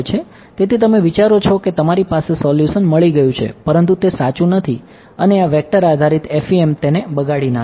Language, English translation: Gujarati, So, you think that you have got a solution, but it is actually not and this vector based FEM kills it